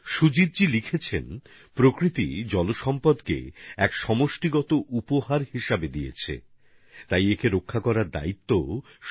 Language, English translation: Bengali, Sujit ji has written that Nature has bestowed upon us a collective gift in the form of Water; hence the responsibility of saving it is also collective